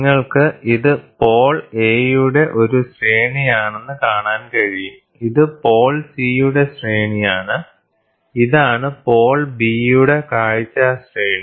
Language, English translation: Malayalam, So, you can see this is a range of pole A, this is the range viewing range of pole C, this is the viewing range this is the viewing range for pole B